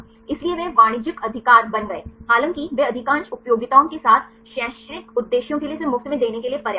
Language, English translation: Hindi, So, they became commercial right; however, they are kind enough to give this for free for educational purposes with the most of the utilities